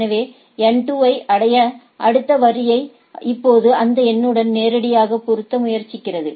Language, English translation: Tamil, So, in order to reach N 2, the next order is now try to try to directly a match with this figure